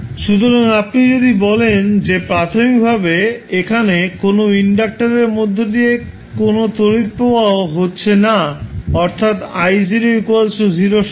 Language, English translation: Bengali, So, if you say that initially the there is no current flowing through the inductor that means I naught equals to 0